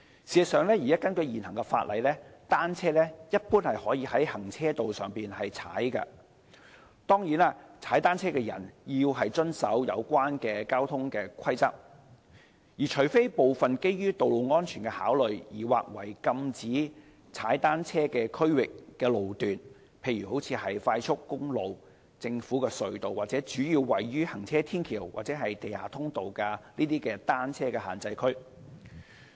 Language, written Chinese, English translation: Cantonese, 事實上，根據現行法例，單車一般可在行車道上騎踏，當然騎單車者須遵守有關的交通規則，除非部分基於道路安全考慮而劃為禁止騎單車區域的路段，例如快速公路、政府隧道和主要位於行車天橋及地下通道的單車限制區。, In fact according to the existing legislation bicycles can normally be ridden on carriageways except some sections of carriageways designated as zones where cycling is prohibited owing to road safety considerations such as expressways government tunnels and bicycle prohibition zones mainly located at flyovers and underpasses . But certainly cyclists must abide by the relevant traffic rules